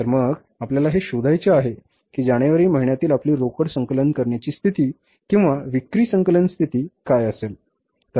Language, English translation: Marathi, So, we will have to find out what would be our cash collection position or the sales collection position at the month of January